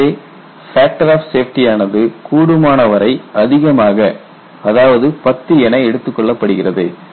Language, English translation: Tamil, So, the safety factor is as high as ten